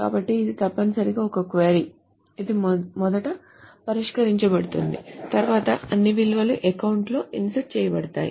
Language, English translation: Telugu, So this essentially a query which is first solved then all the values are inserted into the account